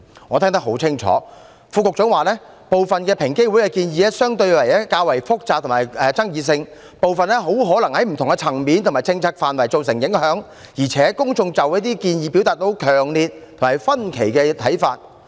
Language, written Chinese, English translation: Cantonese, 我聽得很清楚，副局長指平機會提出的部分建議相對較複雜及有爭議性，有部分很可能在不同層面及政策範圍造成影響，而且公眾就這些建議表達了強烈及分歧的看法。, The Under Secretary has clearly pointed out that some recommendations of EOC were more complex and controversial; some would probably affect different policy areas at different levels and the public have expressed strong and diverse views on them